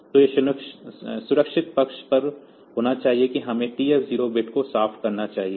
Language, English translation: Hindi, So, it is to be on the safe side we should clear the TF 0 bit